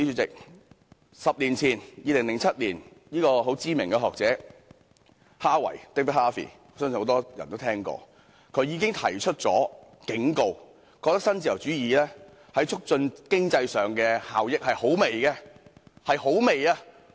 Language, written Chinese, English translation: Cantonese, 在10年前即2007年，相信很多人也聽過的知名學者哈維已提出警告，認為新自由主義在促進經濟方面的效益相當輕微。, A decade ago in 2007 David HARVEY the famous scholar whom I believe many must have heard of already warned that neo - liberalism could only achieve little in promoting economic development